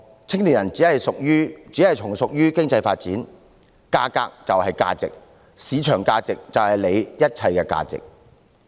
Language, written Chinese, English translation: Cantonese, 青年人只是從屬於經濟發展，價格便是價值，市場價值便是他們一切的價值。, Young people are subordinate to economic development and their prices are their worth . Their market value is all the worth they have